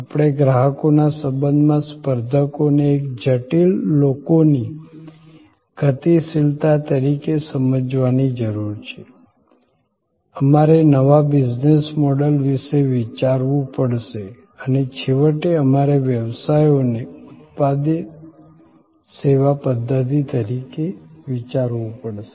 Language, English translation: Gujarati, We have to understand competitors in relation to customers as a complex people dynamics we have to think about new business model’s and ultimately therefore, we have to think about businesses as a product services systems